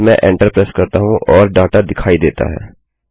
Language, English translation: Hindi, Then I press enter and the data is displayed